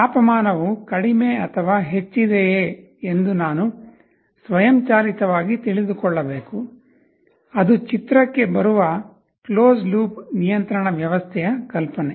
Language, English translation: Kannada, I should able to know automatically whether my temperature is lower or higher, that is the notion of a closed loop control system that comes into the picture